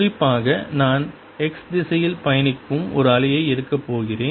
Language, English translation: Tamil, in particular, i am going to take a wave travelling in the x direction